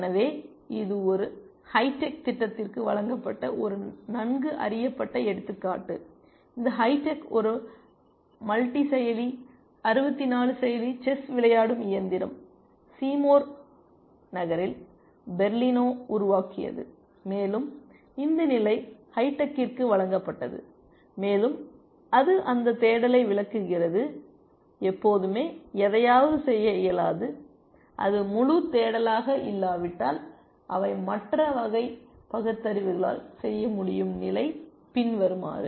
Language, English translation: Tamil, So, this is a well known example which was fed to this hi tech program, this hitech was a multi processor, 64 processor chess playing machine developed by Berlino in Seymour, and this position was given to hi tech and it illustrates that search is not always capable of doing something, unless it is full search of course, which are other forms of reasoning can do